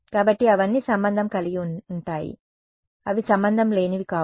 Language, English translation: Telugu, So, they are all related, they are not unrelated ok